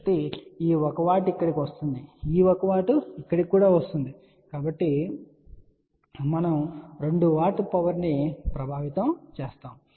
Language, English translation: Telugu, So, this 1 watt will come over here and this 1 watt will also come over here , so we will get affectively 2 watt of power